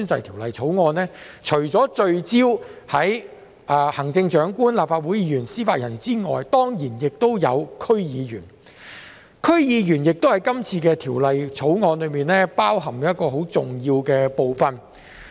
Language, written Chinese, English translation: Cantonese, 《條例草案》除聚焦於行政長官、立法會議員及司法人員外，亦涵蓋區議員，區議員是《條例草案》適用的重要人員。, When it comes to the Bill it applies not only to the Chief Executive Members of the Legislative Council and members of the judiciary but also members of the District Councils DCs . DC members are important under the Bill